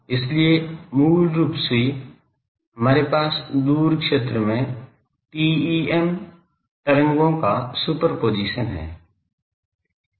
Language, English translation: Hindi, So, basically we have superposition of TEM waves in the, far zone